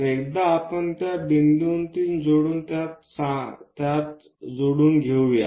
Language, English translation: Marathi, So, once we locate that point join it